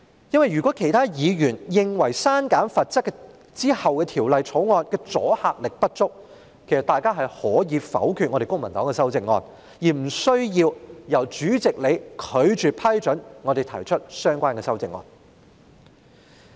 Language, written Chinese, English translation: Cantonese, 如果原因是其他議員認為刪減罰則後，《條例草案》的阻嚇力不足，其實議員可以否決公民黨的修正案，無須由主席拒絕批准我們提出相關的修正案。, If the reason is that other Members would consider the deterrent effect of the Bill to be insufficient after deleting the penalty provision actually Members can veto the amendments proposed by the Civic Party instead of having the President rule that our relevant amendments are inadmissible